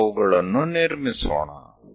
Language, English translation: Kannada, Let us construct those